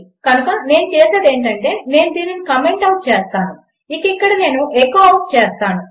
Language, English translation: Telugu, So what Ill do is comment this out and here I will echo it out